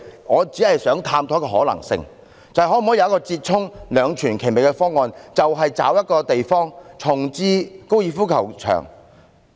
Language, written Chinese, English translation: Cantonese, 我只想探討一種可能性，尋求一個折衷、兩全其美的方案，找一個地方重置高爾夫球場。, I merely wish to explore a possibility and seek a compromised solution satisfactorily for both parties to identify a site for relocating the golf course